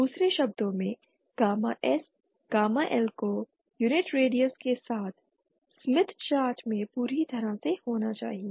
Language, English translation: Hindi, In other words gamma S and gamma L should lie completely with in the smith chart of unit radius